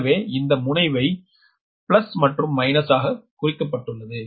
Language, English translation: Tamil, so everywhere polarity is marked plus, minus, plus, minus, plus, minus